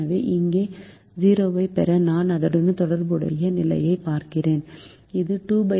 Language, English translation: Tamil, so to get a zero here i look at the corresponding position, which is two by five